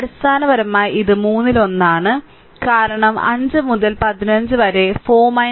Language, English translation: Malayalam, So, basically it is one third because 5 by 15 then 4 minus 0